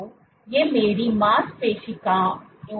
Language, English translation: Hindi, So, these are my muscle cells only right